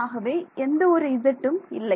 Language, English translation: Tamil, So, there is an x